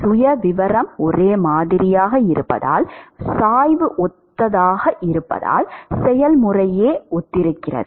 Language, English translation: Tamil, Simply because the profile is similar, the therefore, the gradient is similar and therefore, the process itself is similar